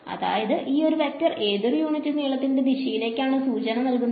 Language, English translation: Malayalam, So, that is a vector of unit length pointing in which direction